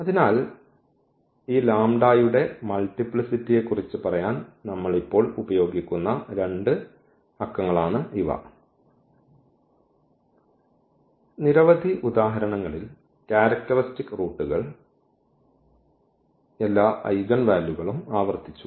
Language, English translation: Malayalam, So, these are the two numbers which we will now use for telling about the multiplicity of this lambda, because we have seen in several examples the characteristic, roots all the eigenvalues were repeated